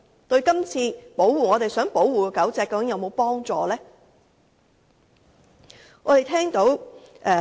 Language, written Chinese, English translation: Cantonese, 對於我們這次想保護的狗隻是否有幫助？, Does this measure offer any help to the dogs that we seek to protect this time?